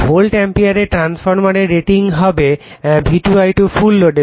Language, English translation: Bengali, The transformer rating in volt ampere will be V2 I2 at full load right